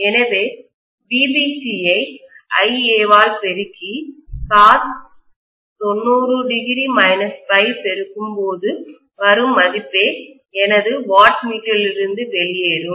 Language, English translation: Tamil, So I am going to get essentially VBC multiplied by IA multiplied by cos of 90 minus phi as the reading what I get out of my wattmeter